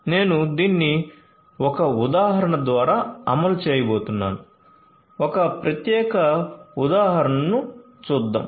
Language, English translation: Telugu, So, let us say I am going to run you through an example, let us look at this particular example